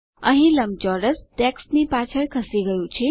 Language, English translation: Gujarati, Here the rectangle has moved behind the text